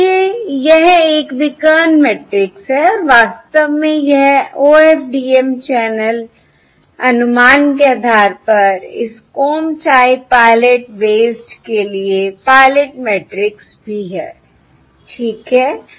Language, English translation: Hindi, all right, So therefore it is a diagonal matrix and in fact, this is also the pilot matrix for this comb type pilot based OFDM channel estimation